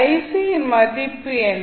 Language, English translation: Tamil, What is the value of ic